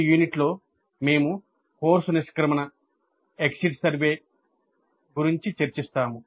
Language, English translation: Telugu, In this unit we will discuss the course exit survey